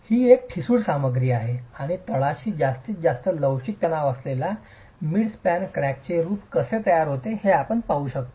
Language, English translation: Marathi, This is a brittle material and you can see how the midspan crack forms with maximum flexual tension at the bottom